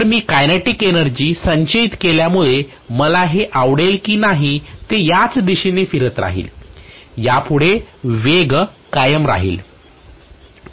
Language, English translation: Marathi, So I am going to have the speed continuing to exist whether I like it or not it will continue to rotate in the same direction because of the kinetic energy stored